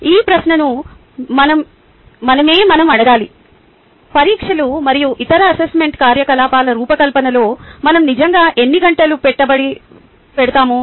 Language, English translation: Telugu, we need to ask this question to ourselves: how many hours do we really invest in designing exams and other assessment activities so far